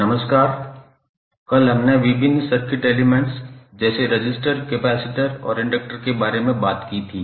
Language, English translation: Hindi, Namashkar, yesterday we spoke about the various circuit elements like resistance, inductance and capacitance